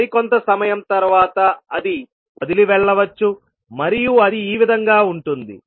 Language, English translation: Telugu, And after some time it may leave and will become like this